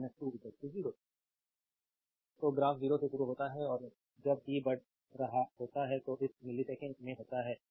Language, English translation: Hindi, So, graph starts from 0 and right and when your when t is increasing it is in millisecond